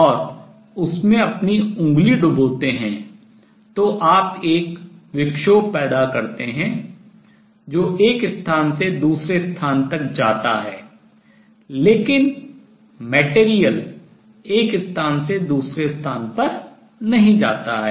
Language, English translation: Hindi, For example, if you take a dish of water and dip your finger in it, you create a disturbance that travels from one place to another, but material does not go from one place to the other